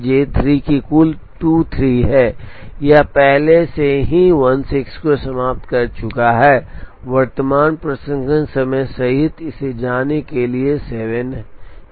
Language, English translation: Hindi, J 3 has a total of 23 it has already finished 16 it has 7 to go including the current processing time